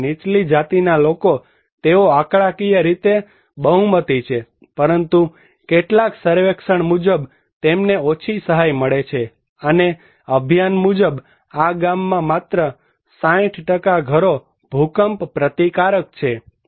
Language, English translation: Gujarati, Whereas, lower caste people they are the majority in numerically but they receive low assistance according to some survey, and according to Abhiyan, only 60% of houses are earthquake resistance in this village